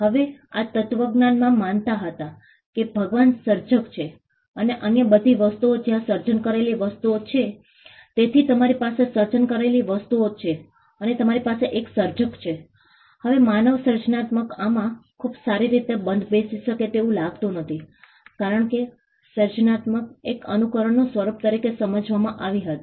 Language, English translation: Gujarati, Now this philosophy regarded that god was the creator and all the other things where the created things, so you had the created things and you had a creator now human creativity did not seem to fit into this very well, because creativity was understood as a form of imitation